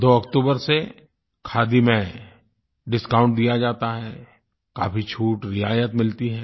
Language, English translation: Hindi, Discount is offered on Khadi from 2nd October and people get quite a good rebate